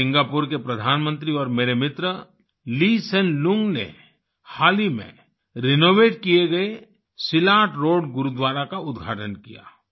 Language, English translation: Hindi, The Prime Minister of Singapore and my friend, Lee Hsien Loong inaugurated the recently renovated Silat Road Gurudwara